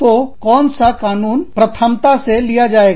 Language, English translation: Hindi, So, which law will take precedence